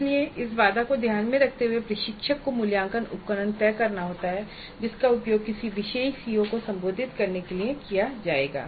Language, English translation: Hindi, So keeping this constraint in view the instructor has to decide the assessment instruments that would be used to address a particular CO